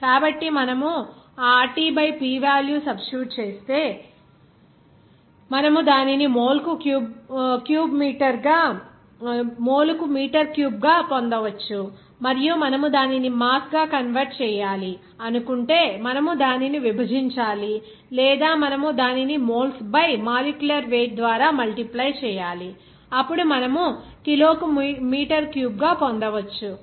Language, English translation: Telugu, So, if you substitute that RT by P value, then you can get it in terms of meter cube per mole and then if you convert it to mass, you have to then divide it by or you have to multiply it that moles by its molecular weight, then you can get it in terms of meter cube per kg